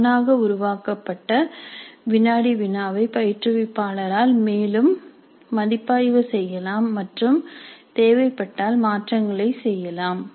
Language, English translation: Tamil, Obviously the quiz that is automatically created can be reviewed further by the instructor and if required modifications can be made